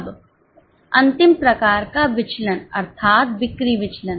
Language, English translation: Hindi, Now, the last type of variance, that is a sales variance